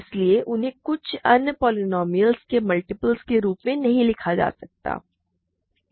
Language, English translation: Hindi, So, they cannot be written as products multiples of some other polynomial